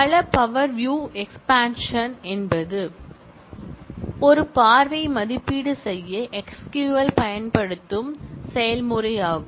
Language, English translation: Tamil, A lot of power view expansion is the process that SQL uses to evaluate a view